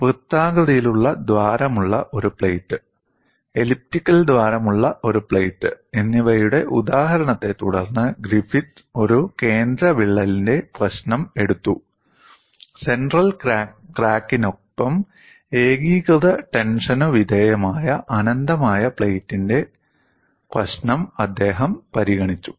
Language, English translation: Malayalam, Griffith took the problem of a central crack following the example of a plate with the circular hole, a plate with the elliptical hole; he considered the problem of an infinite plate with the central crack subjected to uniaxial tension